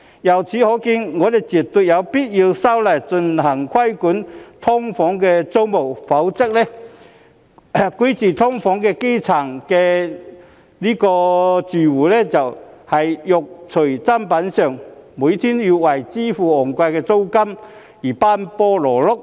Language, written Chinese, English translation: Cantonese, 由此可見，我們絕對有必要修例規管"劏房"租務，否則居住在"劏房"的基層住戶只能"肉隨砧板上"，每天要為支付昂貴租金而奔波勞碌。, We can thus see that it is absolutely necessary for us to amend the legislation to regulate the tenancies of SDUs; otherwise the grass - roots living in SDUs can only be left with no choice but busy running about every day to have their expensive rentals paid